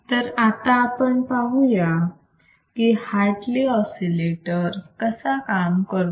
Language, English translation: Marathi, So, anyway let us see Hartley oscillator and how does it work